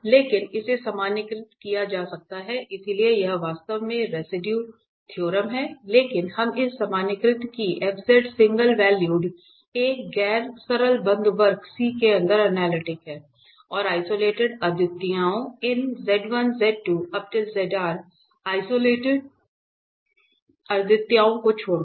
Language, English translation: Hindi, But this can be generalized, so this is exactly the residue theorem but we can generalize this that f z is single valued, analytic inside a non simple close curve C at and isolated singularities, except this isolated singularities z 1, z 2, z r